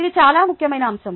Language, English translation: Telugu, it is a very important aspect